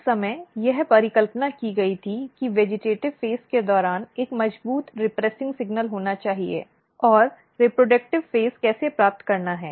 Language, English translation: Hindi, So, at that time it was hypothesized that there has to be a strong repressing signal during the vegetative phase and how to acquire the reproductive phase